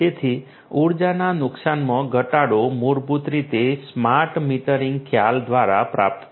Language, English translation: Gujarati, So, reduction in energy loss is basically achieved through the smart metering concept